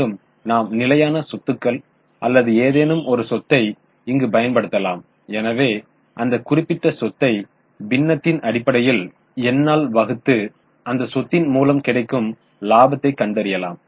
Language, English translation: Tamil, Now we are using fixed assets or some any asset so we can take that particular asset in the denominator and find out the profit generated by that asset